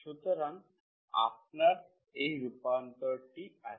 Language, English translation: Bengali, So you have this transformation